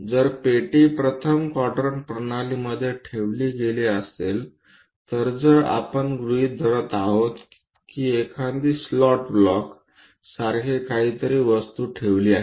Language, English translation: Marathi, So, if the box is placed at the first quadrant system in which if we are assuming another object is placed; something like this slot block